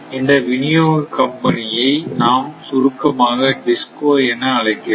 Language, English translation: Tamil, And this is distribution company in short we call DISCO right